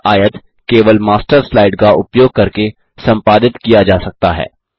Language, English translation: Hindi, This rectangle can only be edited using the Master slide